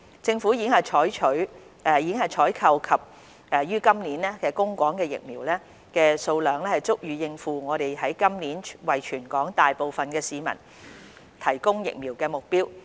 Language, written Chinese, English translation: Cantonese, 政府已經採購及於今年供港的疫苗，數量足以應付我們於今年為全港大部分市民提供疫苗的目標。, The quantity of vaccines procured by the Government and to be supplied this year is sufficient for meeting our goal to provide vaccines for the majority of the population within this year